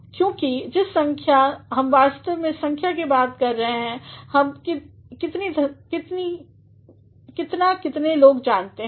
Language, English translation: Hindi, Because, the number we are actually talking of a number, we are talking of how many people know